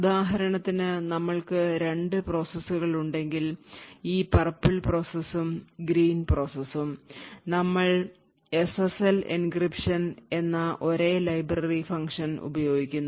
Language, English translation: Malayalam, So, for example if we have two processes, this purple process and the green process over here and we used the same library function, which in this case is SSL encryption